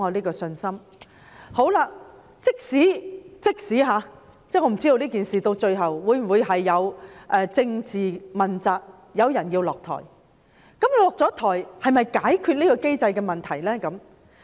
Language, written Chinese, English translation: Cantonese, 我不知道這件事最後會否導致政治問責，有人需要下台，但下台又能否解決這個機制的問題呢？, I do not know whether someone would eventually be held politically accountable in this incident obligating a step down . Yet would the problems of this mechanism be solved after someone has stepped down?